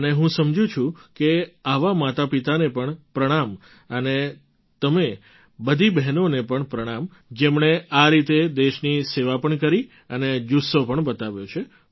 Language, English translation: Gujarati, And I feel… pranam to such parents too and to you all sisters as well who served the country like this and displayed such a spirit also